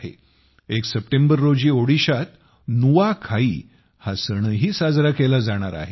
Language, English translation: Marathi, The festival of Nuakhai will also be celebrated in Odisha on the 1st of September